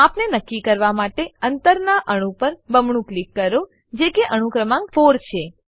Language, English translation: Gujarati, To fix the measurement, double click on the ending atom, which is atom number 4